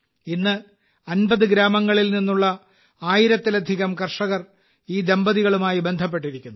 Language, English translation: Malayalam, Today more than 1000 farmers from 50 villages are associated with this couple